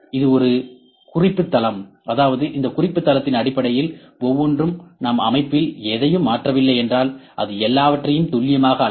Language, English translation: Tamil, This is a reference plane, that means, every based on this reference plane if we do not change anything in the in the setup it will measure all the things accurately